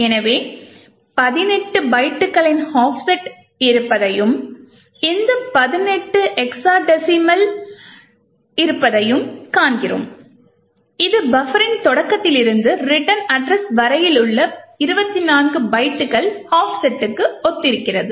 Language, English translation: Tamil, So, we see that there is an offset of 18 bytes and this 18 is in hexadecimal which corresponds to 24 bytes offset from the start of the buffer to the return address